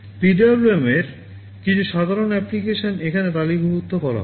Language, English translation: Bengali, Some typical applications of PWM are listed here